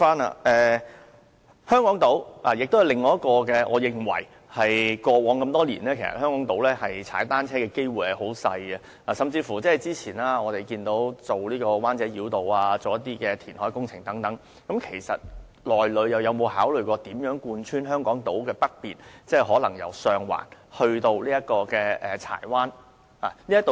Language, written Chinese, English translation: Cantonese, 另外，過往多年，我認為在香港島踏單車的機會相當小，不過，早前規劃中環灣仔繞道和相關的填海工程時，有否考慮建設海濱單車徑貫穿香港島的北面，即可能由上環至柴灣呢？, Moreover in the past many years I believed the chance of riding a bicycle on Hong Kong Island was quite slim . However when planning the Central - Wan Chai Bypass and its related reclamation works earlier did the authorities consider building a harbourfront cycle track running through the north shore of Hong Kong Island meaning possibly from Sheung Wan to Chai Wan?